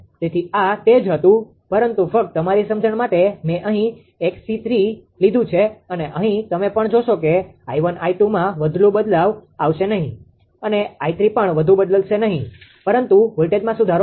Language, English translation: Gujarati, So, that was the that, but ah just for your understanding I have taken here here this your ah x c 3 and here you will also see that i 1, i 2 there will be not much change; even i 3 also there will be not much change in the current but voltage improvement will be there